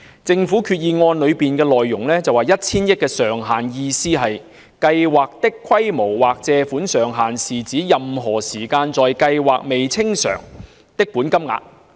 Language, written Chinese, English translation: Cantonese, 政府在動議擬議決議案的發言中指出 ，1,000 億元上限的意思是"計劃的規模或借款上限是指任何時間在計劃下未清償的本金額。, As pointed out by the Government in its speech when moving the proposed Resolution the meaning of the ceiling of 100 billion is that the size of the Programme or borrowing ceiling refers to the amount of outstanding principal at any time under the Programme